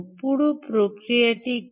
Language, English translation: Bengali, what is the whole process